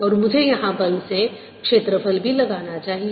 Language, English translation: Hindi, and i should also apply for the force by area out here